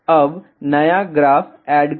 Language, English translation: Hindi, Now, add new graph